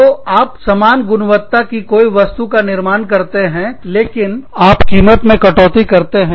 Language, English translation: Hindi, So, you make something of the same quality, but you reduce the price